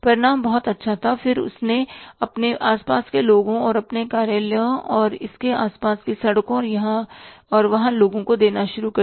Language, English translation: Hindi, And then he started giving to his neighbors and people in his office and nearby streets and here and there